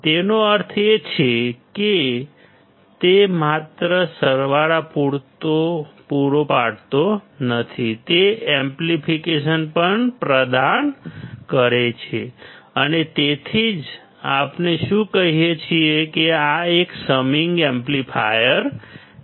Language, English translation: Gujarati, That means, it is not only providing the summation; it is also providing the amplification, and that is why; what we do say is this is a summing amplifier